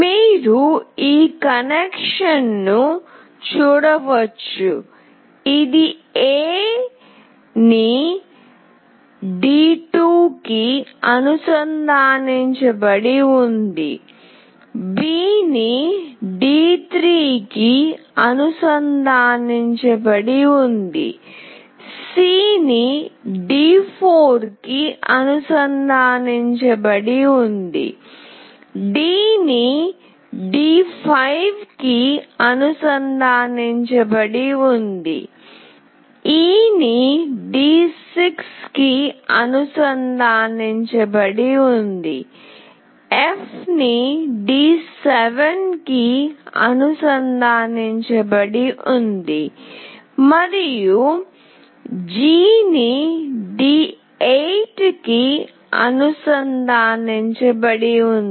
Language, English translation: Telugu, You can see the connection: A is connected to D2, B is connected to D3, C is connected to D4, D is connected to D5, E is connected to D6, F is connected to D7, and G is connected to D8